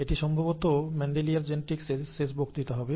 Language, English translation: Bengali, This will most likely be the last lecture on Mendelian genetics